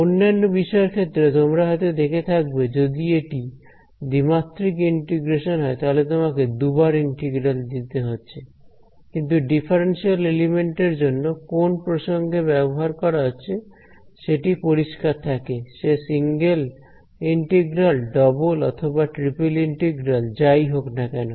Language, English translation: Bengali, In other courses, you may have seen that if it is a two dimensional integration; you will be putting a double integral and you will be putting a triple integral, but we find that from the context it is clear whether it is a single integral double or triple integral because of the differential element ok